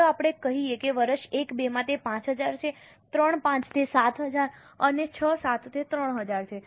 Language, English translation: Gujarati, Let us say in year 1 2, it's 5,000, 3,000, it's 7,000 and 6 7 it is 3,000